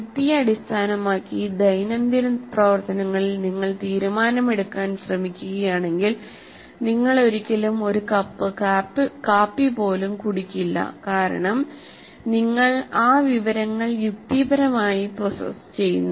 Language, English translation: Malayalam, If you try to do take your decision in everyday activity based on logic, you will never even drink a cup of coffee because if you logically process that information